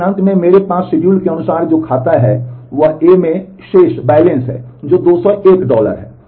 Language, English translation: Hindi, But at the end what I have according to the schedule is account A has a balance which is 201 dollar